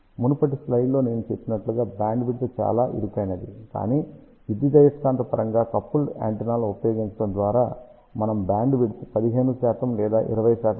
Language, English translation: Telugu, As I mentioned in the previous slide the bandwidth was very narrow, but by using electromagnetically coupled antennas we can get bandwidth of 15 percent or even 20 percent